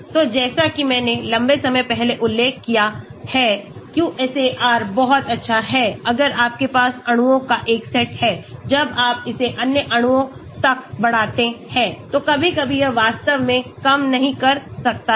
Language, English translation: Hindi, So, as I mentioned long time back, QSAR is very good if you have a set of molecules when you extend it to other molecules, sometimes it might not work actually